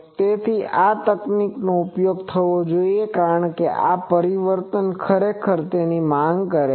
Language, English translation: Gujarati, So, this is the technique that should be used, because this transformation actually demands these